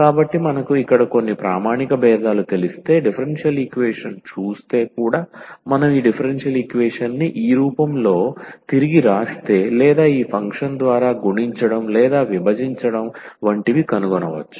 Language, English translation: Telugu, So, if we know some standard differentials here, then looking at the differential equation also we can find that if we rewrite this equation in this form or we multiply or divide by this function